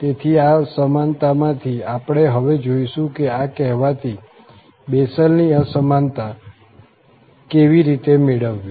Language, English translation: Gujarati, So, out of this inequality, we will see now that how to get exactly this, the so called the Bessel's Inequality